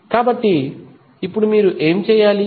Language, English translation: Telugu, So, now what you have to do